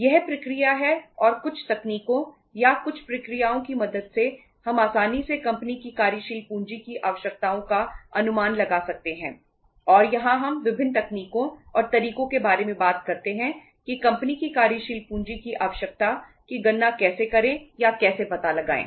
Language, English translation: Hindi, This is the process and with the help of certain techniques or certain processes we can easily estimate the working capital requirements of the company and here we talk about the different techniques and ways how to calculate or how to work out the working capital requirement of the company